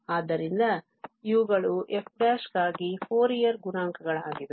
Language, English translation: Kannada, So, these Fourier coefficients are for f prime